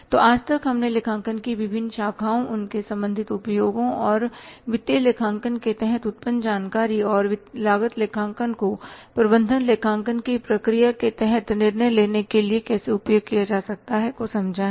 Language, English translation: Hindi, So till date we have understood the different branches of accounting their respective uses and how the information generated under the financial accounting and the cost accounting can be used for the decision making under the process of management accounting